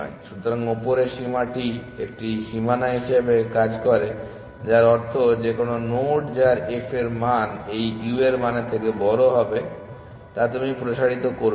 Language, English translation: Bengali, So, the upper bound serves as a boundary which means that any node with f value greater than this value u you will not expand